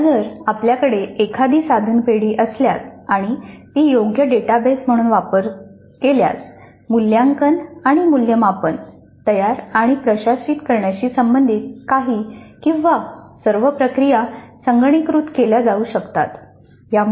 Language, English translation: Marathi, And once we have an item bank and if it is created as a proper database, some are all of the processes associated with creating and administering assessment and evaluation can be computerized